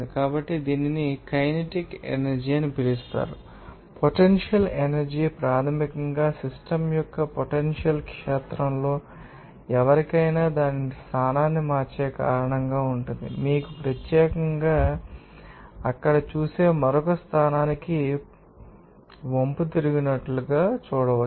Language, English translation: Telugu, So, this is called kinetic energy and potential energy is basically due to the position of the system in a potential field to anybody any object it is change its position, you know particularly or you can see at an inclined to another position you will see there will be a change of potential energy